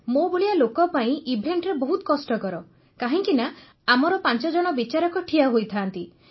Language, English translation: Odia, In an event like mine it is very tough because there are five judges present